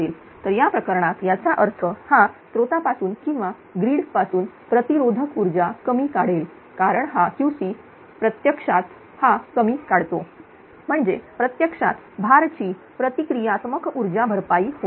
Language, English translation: Marathi, So, in that case your what you call; that means, it will draw less reactive power from the source or from the grid because this Q c actually as it is drawing less means actually effectively that your cell what you call that load reactive power is getting compensated